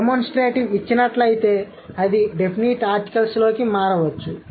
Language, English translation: Telugu, Given a demonstrative it may change into definite article